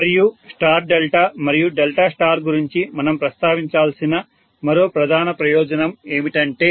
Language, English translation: Telugu, And one more major point we have to mention about Star delta and delta star is that